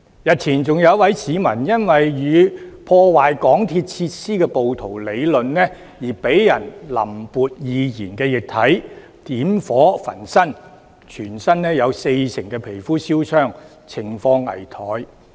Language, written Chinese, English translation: Cantonese, 日前更有一位市民，因為與破壞港鐵設施的暴徒理論，遭人淋潑易燃液體、點火焚身，他全身有四成皮膚燒傷，情況危殆。, Days earlier a citizen who had a quarrel with some rioters who had damaged some MTR facilities was poured flammable liquid and torched alive . The man was in a critical condition and suffered 40 % skin burns